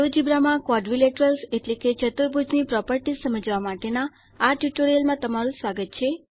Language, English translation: Gujarati, Welcome to this tutorial on Understanding Quadrilaterals Properties in Geogebra